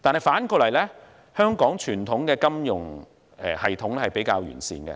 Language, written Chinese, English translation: Cantonese, 反過來說，香港傳統的金融系統比較完善。, Contrary to the above the conventional financial system in Hong Kong is better developed